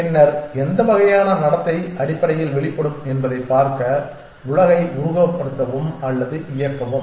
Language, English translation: Tamil, And then simulate or run the world to see how what kind of behavior would emerge essentially